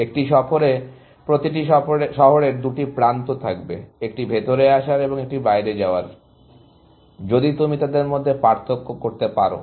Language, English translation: Bengali, In a tour, every city will have two edges; one incoming and one outgoing, if you can distinguish between them